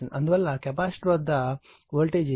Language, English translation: Telugu, Therefore, voltage across the capacitor will be 50 into 0